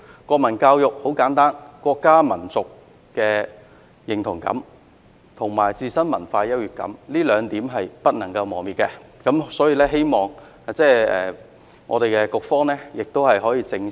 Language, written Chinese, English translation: Cantonese, 國民教育很簡單，國家民族的認同感，以及自身文化優越感，這兩點是不能磨滅的，我希望局方可以正視......, Put simply national education serves to develop a sense of belonging to the country and to the nation and a sense of superiority about our own culture and these two points cannot be obliterated